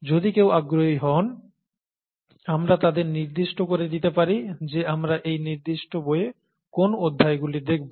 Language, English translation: Bengali, If somebody’s interested, we can point that out to them what chapters we are going to do in this particular book